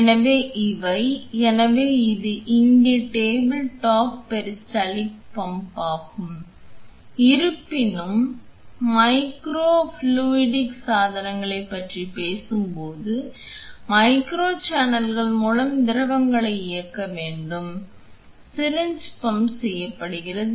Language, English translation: Tamil, So, these are; so, this here is the tabletop peristaltic pump; however, when we are talking about micro fluidic devices where you need to drive fluids through micro channels, syringe pump is also used